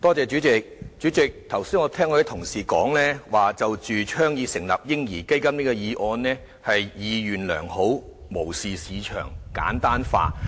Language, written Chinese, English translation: Cantonese, 主席，剛才聽到有同事說，"倡議成立'嬰兒基金'"這議案是意願良好、無視市場及簡單化。, President just now I heard an Honourable colleague say that while the motion on Advocating the establishment of a baby fund is well - intentioned it has overlooked market operation and simplified the issues